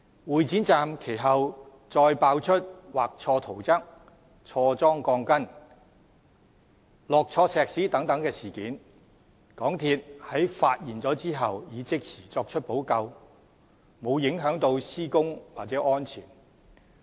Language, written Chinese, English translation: Cantonese, 會展站其後再被揭發出畫錯圖則、裝錯鋼筋、灌錯混凝土等事件，港鐵公司在發現後已即時作出補救，沒有影響施工或安全。, Subsequently mistakes were also found in the drawings the installation of steel bars and the concreting process at Exhibition Centre station . After MTRCL learnt of the problems it immediately took remedial actions so that the problems would not affect the progress of works or safety